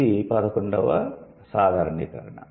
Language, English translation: Telugu, What is the 12th generalization